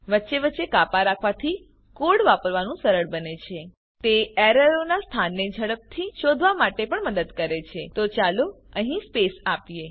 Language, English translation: Gujarati, Indentation makes the code easier to read It also helps to locate errors faster So let us give a space here